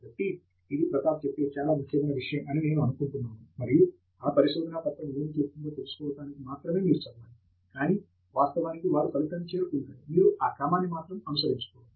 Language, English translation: Telugu, So, I think it is a very important point that Prathap makes, and you should only read the paper to know what it is saying, but rather not to mimic the sequence in which they actually arrived at, that they used to arrive at the result